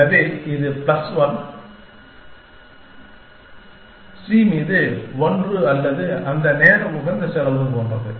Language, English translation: Tamil, So, it is something like 1 plus 1, 1 upon c or something like that times optimal cost